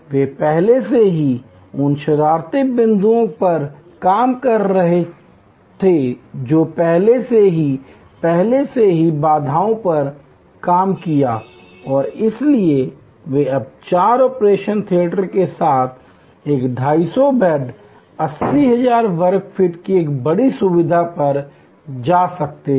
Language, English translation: Hindi, They have already worked out the naughty points that already worked out the bottle necks and therefore, they could now go to a 250 beds 80,000 square feet major facility with four operation theaters